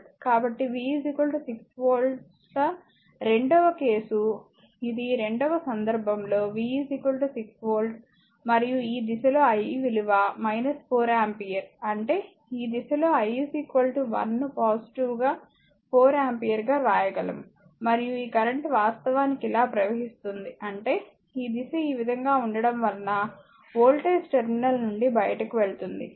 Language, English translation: Telugu, So, V is equal to 6 volts second case it is in the second case V is equal to 6 volt and I is minus 4 ampere this direction; that means, this direction I is equal to I can write positive 4 ampere and this current actually is flowing like this it is flowing like this; that means, the current actually leaving the voltage terminal because it is direction is like this